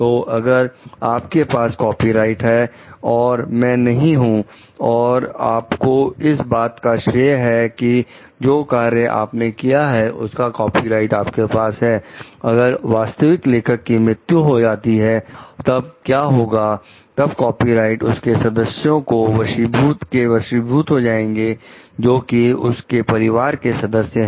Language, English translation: Hindi, So, the if you are a copyright holder there is not me like, you also have the credit for authoring the work the copyright like, if the original author dies, then what happens the copyright is inherited by the his members who are there in the family